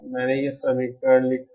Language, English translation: Hindi, I wrote this equation